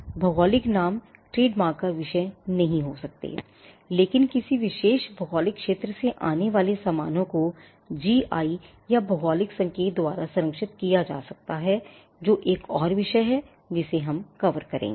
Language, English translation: Hindi, Geographical names cannot be a subject of trademark, but goods coming from a particular geographical territory can be protected by GI or geographical indication; which is another subject that we will be covering